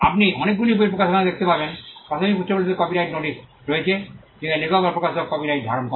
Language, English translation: Bengali, Publication you would have seen in many books there is a copyright notice in the initial pages where the copyright is held by the author or by the publisher